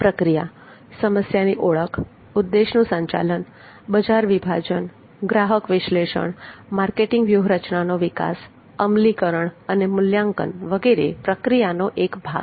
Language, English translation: Gujarati, the process problem identification objective setting market segmentation consumer analysis marketing strategy development implementation and evaluation are part of the process